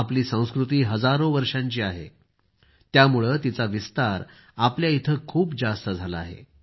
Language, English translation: Marathi, Since our culture is thousands of years old, the spread of this phenomenon is more evident here